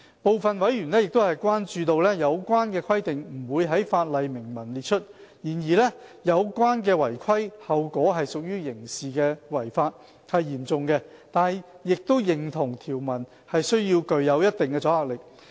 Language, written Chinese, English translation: Cantonese, 部分委員關注到，有關的規定不會在法例明文列出；然而，有關違規後果屬刑事違法，是嚴重的，但亦認同條文需具一定阻嚇力。, Some members are concerned that the relevant requirements will not be explicitly provided in the legislation; yet non - compliance with such requirements will entail criminal consequences which is serious . Nevertheless they also agree that the provisions have to provide certain deterrent